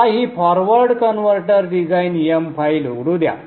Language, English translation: Marathi, Let me open this forward converter design file